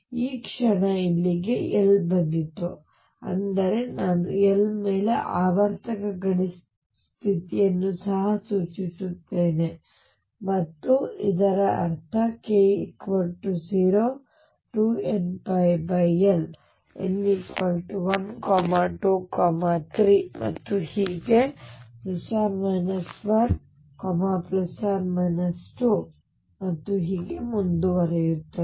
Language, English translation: Kannada, The moment arrived this L here; that means, I also imply periodic boundary condition over L and this means k equals 0 2 n pi over L n equals 1 2 3 and so on plus minus 1 plus minus 2 and so on